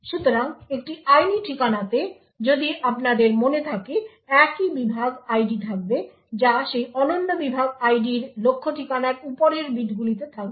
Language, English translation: Bengali, So, a legal address as you may recall would have the same segment ID that is the upper bits of that target address would have that unique segment ID